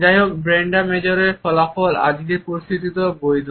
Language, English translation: Bengali, However, the findings of Brenda Major are valid even in today’s situation